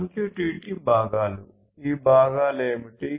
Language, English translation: Telugu, MQTT components: what are these components